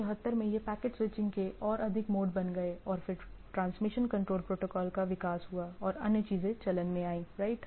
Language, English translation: Hindi, In 74 this packets become more mode of switching that there is evolution of transmission control protocol and other things came into play right